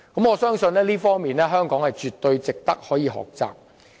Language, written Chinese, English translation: Cantonese, 我相信這方面絕對值得香港學習。, I reckon that Hong Kong can draw useful lessons in this regard from the Marshall Islands